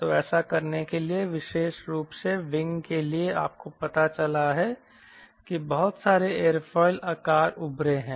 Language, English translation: Hindi, so in doing that, especially for wing, you have found out that a lots of aerofoil shape have emerged right